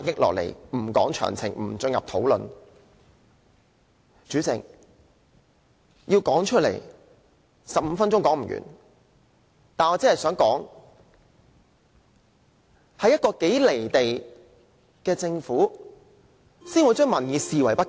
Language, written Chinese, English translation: Cantonese, 代理主席，要把這些一一道來 ，15 分鐘也說不完，但我只想指出，只有一個如此"離地"的政府才會把民意視而不見。, Deputy President 15 minutes is simply not enough for me to name all these problems . All I want to say is that only a very unrealistic Government can turn a blind eye to the aspirations of the people